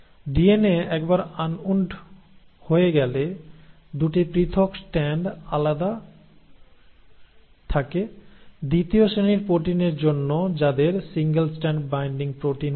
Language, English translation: Bengali, Once the DNA has been unwound the 2 separated strands remain separated thanks to the second class of proteins which are called as single strand binding proteins